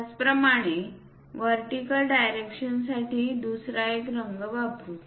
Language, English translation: Marathi, Similarly, for the vertical direction let us use other color